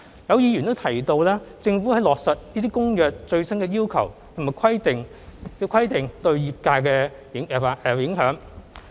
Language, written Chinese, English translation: Cantonese, 有議員提及政府在落實這些《公約》的最新要求及規定對業界的影響。, Members mentioned the impact on the trade of the implementation of the latest requirements under the Convention by the Government